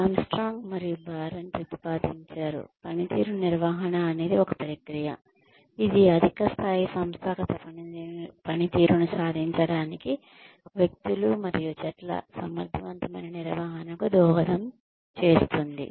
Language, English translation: Telugu, Armstrong and Baron propose that, performance management is a process, which contributes to the effective management of individuals and teams, in order to achieve, high levels of organizational performance